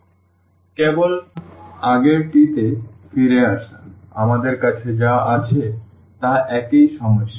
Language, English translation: Bengali, So, just getting back to the previous one, what we have it is a similar problem